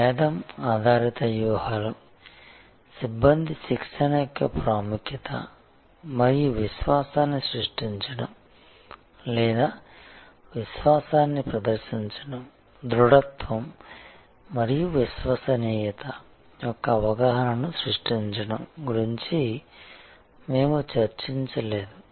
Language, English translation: Telugu, We did not discuss about in differentiation driven strategies, the importance of personnel training and creating the confidence or projecting the confidence, creating the perception of solidity and dependability